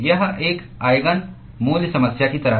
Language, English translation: Hindi, It is like an Eigen value problem